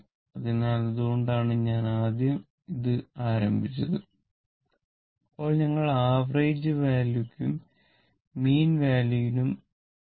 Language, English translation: Malayalam, So, that is why I have started with this one first, then we will come to the mean value and average value